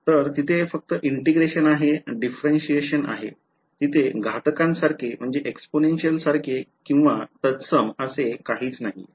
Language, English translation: Marathi, So, there was only there is differentiation there is integration, there is nothing more fancy like exponential or something like that right